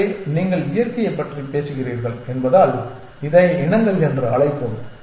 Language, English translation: Tamil, So, let us call it as species since you are talking about nature as well